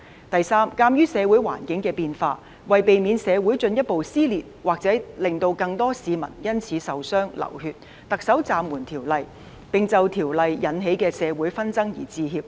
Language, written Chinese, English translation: Cantonese, 第三，鑒於社會環境的變化，為避免社會進一步撕裂或令更多市民因此受傷、流血，特首暫緩《條例草案》的工作，並就因而引起的社會紛爭致歉。, Third in the light of changes in the social environment to prevent further dissension in society or to prevent more citizens from suffering injuries and bloodshed as a result the Chief Executive has suspended the work on the Bill and apologized for the social conflicts created